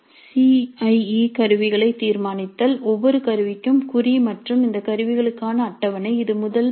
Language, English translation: Tamil, Determine the CIE instruments, marks for each instrument and the schedule for these instruments that is first step